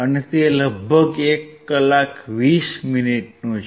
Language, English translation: Gujarati, And it is about 1hour 20 minutes